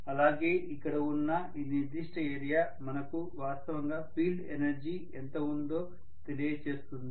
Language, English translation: Telugu, This is the area which is representing the final field energy